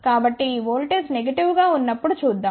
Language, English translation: Telugu, So, let us see when this voltage is negative